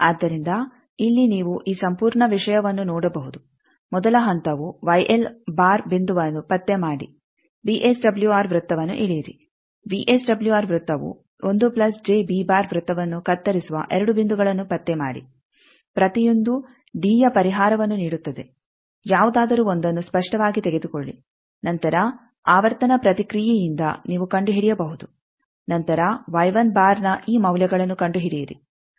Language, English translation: Kannada, So, here you can see this whole thing that first step is locate the Y l bar point draw the VSWR circle locate that 2 points where the VSWR circle cuts 1 plus j b circle each gives a solution of d take anyone obviously, later we will see that you can from frequency response you can find out then find these values Y one